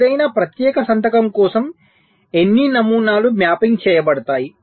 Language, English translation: Telugu, so for any particular signature, how many patterns will be mapping